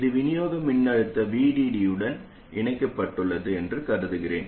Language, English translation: Tamil, I'll assume that it is connected to the supply voltage VDD